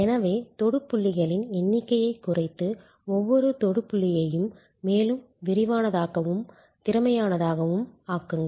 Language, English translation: Tamil, So, reduce the number of touch points and make each touch point more comprehensive and more capable